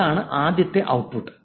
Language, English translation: Malayalam, And that's the first output